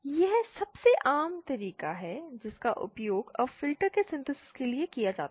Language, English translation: Hindi, This is the most common method that is used for synthesis of filters now a days